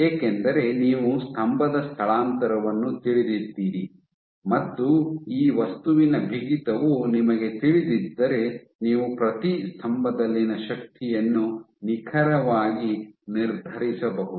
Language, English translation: Kannada, So, because you know the pillar displacement and if you know the stiffness material of this material then you can I exactly determine the force at each pillar